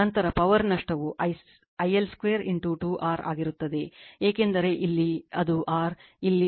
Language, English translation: Kannada, Then power loss will be I L square into 2 R, because here it is R, here it is R right